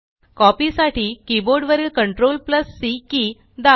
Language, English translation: Marathi, On the keyboard, press the CTRL+C keys to copy